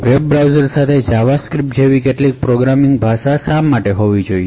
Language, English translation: Gujarati, Why do we actually have to have some programming language like JavaScript to be used with web browsers